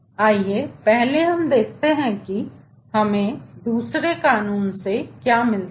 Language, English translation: Hindi, let us first see what do we get from second law